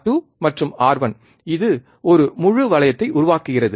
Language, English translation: Tamil, R 2 and R 1 this forms a close loop